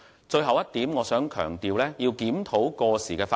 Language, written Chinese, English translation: Cantonese, 最後一點，我想強調要檢討過時法例。, The last point is that I wish to emphasize the importance of reviewing outdated legislation